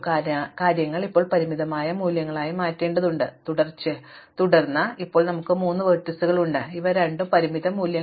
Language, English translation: Malayalam, So, these two things now become finite values 10 and 8 respectively, now we have a these three vertices which are finite values